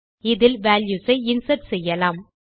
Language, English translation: Tamil, And you can insert values in them